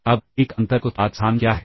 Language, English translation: Hindi, Now, what is an inner product space